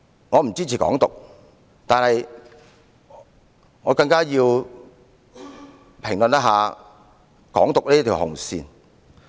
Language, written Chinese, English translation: Cantonese, 我不支持"港獨"，但我也要評論"港獨"這條紅線。, While I do not support Hong Kong independence I still want to criticize this red line of Hong Kong independence